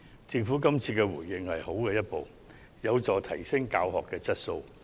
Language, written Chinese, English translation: Cantonese, 政府今次的回應是良好的一步，有助提升教學質素。, The Governments response this time is a good step which will help to enhance the quality of teaching